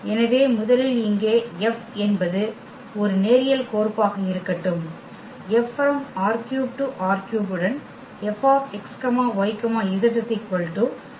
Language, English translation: Tamil, So, first here let F is a linear map here R 3 to R 3 with F x y z is equal to x y 0